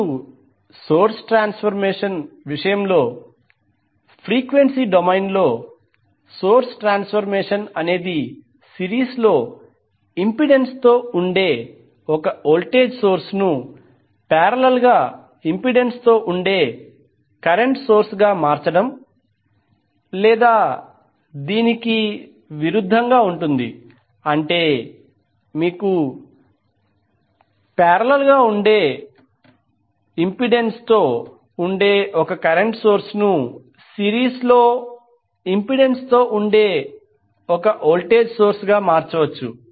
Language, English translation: Telugu, Now in case of source transformation the, in frequency domain the source transformation involves the transforming a voltage source in series with impedance to a current source in parallel with impedance or vice versa that means if you have current source in parallel with impedance can be converted into voltage source in series with an impedance